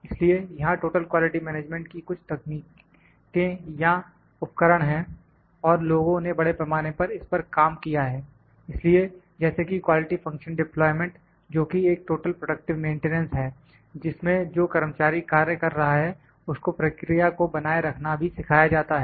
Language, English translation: Hindi, So, they are certain techniques certain tools of total quality management and people have worked extensively in this, so, like quality function deployment that is the workers or the total productive maintenance in which the worker who is working is taught to maintain the process as well